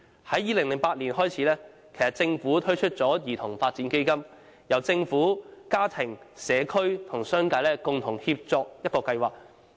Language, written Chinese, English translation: Cantonese, 由2008年起，政府推出了兒童發展基金，是一個由政府、家庭、社區和商界共同協作的計劃。, In 2008 the Government introduced the Child Development Fund CDF which is a plan featuring consolidated effort from the Government family community and the business sector